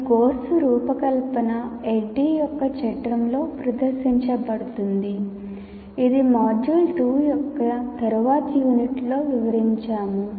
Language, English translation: Telugu, And this course design is presented in the framework of ADD, which we will elaborate in later units of this module 2